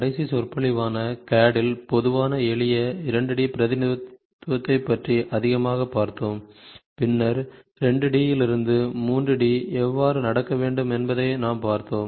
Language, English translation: Tamil, Last lecture we saw more towards, generic simple 2 D representation in CAD and then we slightly extended how from 2 D to 3 D has to happen